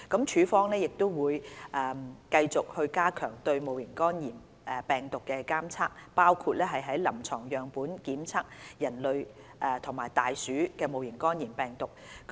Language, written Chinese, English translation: Cantonese, 署方會繼續加強對戊型肝炎病毒的監測，包括於臨床樣本檢測人類及大鼠戊型肝炎病毒。, The DH will continue to enhance its surveillance of HEV including conducting testing on human and rat HEVs in clinical specimens